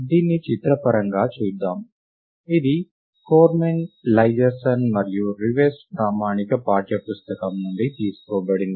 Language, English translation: Telugu, Lets just look at this pictorially, this is taken from Cormen Leiserson and Rivest the standard text book